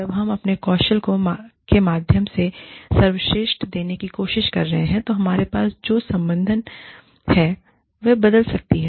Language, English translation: Hindi, When we are trying to give the best, through our skills, the affiliation we have, can change